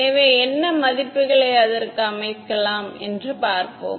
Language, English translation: Tamil, So, let us see what values we can set for it ok